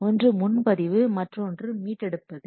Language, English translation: Tamil, One reserve, another is restore